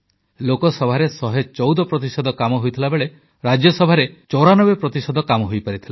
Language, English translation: Odia, Lok sabha's productivity stands at 114%, while that of Rajya Sabha is 94%